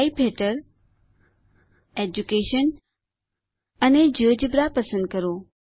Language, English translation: Gujarati, Under Type Choose Education and GeoGebra